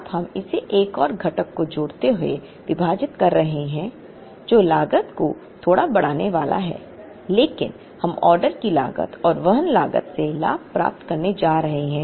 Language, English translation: Hindi, We are now, dividing it adding another component, which is going to increase the cost a little bit but, we are going to gain from the order cost and from the carrying cost